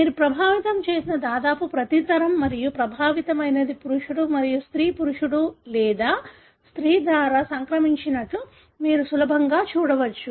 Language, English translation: Telugu, You can easily see that that almost every generation you have affected and the affected is either male or female transmitted by both male and female